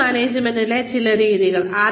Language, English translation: Malayalam, Some methods of Career Management